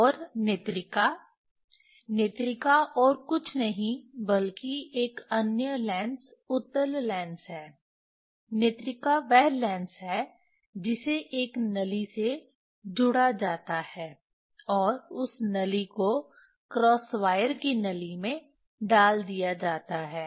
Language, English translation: Hindi, And the eye piece, eye piece is nothing but another lens convex lens, Vernier that eye piece is that lens fixed with a tube, and that tube is put into the tube of the cross wire